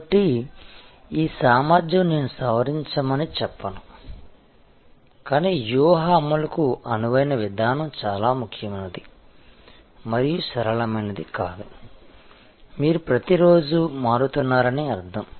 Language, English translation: Telugu, So, this ability to, I would not say modify, but I would say a flexible approach to strategy implementation is very important and flexible does not mean, that you change every other day